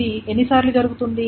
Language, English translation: Telugu, How many times this is being done